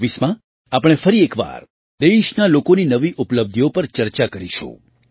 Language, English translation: Gujarati, In 2024 we will once again discuss the new achievements of the people of the country